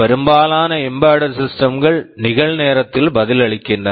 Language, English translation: Tamil, Most embedded systems respond in real time